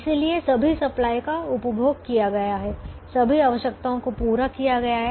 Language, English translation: Hindi, so all the supplies have been consumed, all the requirements have been met